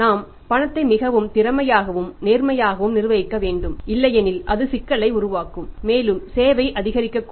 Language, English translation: Tamil, We have to manage the cash very efficiently and sincerely or otherwise it will create problem and may increase cost